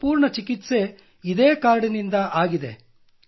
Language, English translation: Kannada, I have been treated by the card itself